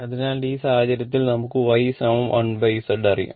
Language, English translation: Malayalam, So, in this case we know Y is equal to 1 upon Z